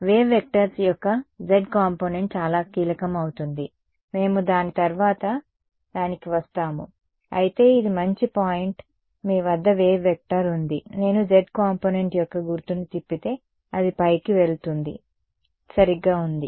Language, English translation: Telugu, The z component of the wave vectors will be very crucial we will come to it subsequently, but that is a good point I mean you have a wave vector that is going like this if I flip the sign of the z component it will just go up right that is was